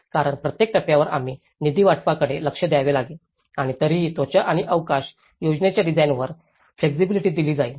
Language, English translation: Marathi, Because each stage we have to look at the funding allocation as well and while still allowing flexibility on the design of skin and space plan